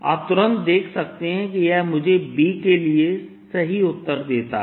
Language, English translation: Hindi, you can immediately see this gives me the right answer for b